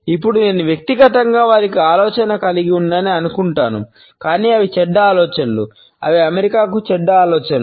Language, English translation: Telugu, Now, I personally think they had ideas, but they were bad ideas they were bad ideas for America all of the